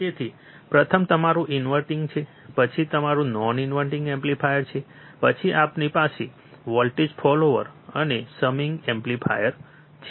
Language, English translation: Gujarati, So, first is your inverting, then it is your non inverting amplifier, then we have voltage follower and summing amplifier